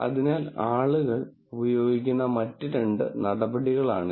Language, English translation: Malayalam, So, these are two other measures that people use